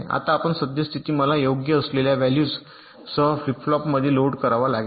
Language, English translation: Marathi, ok, now, whatever is my present state, i will have to load the flip flops with those values that will come here right